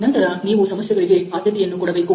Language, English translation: Kannada, So, then you prioritise the problems